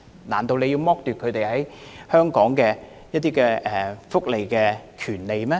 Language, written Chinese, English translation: Cantonese, 難道議員認為要剝奪他們享有香港福利的權利嗎？, Do Members think that they should be stripped of the right to those welfare benefits offered in Hong Kong?